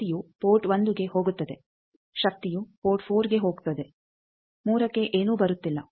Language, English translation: Kannada, Power is going to port 1 power is going to port 4 nothing is also coming to 3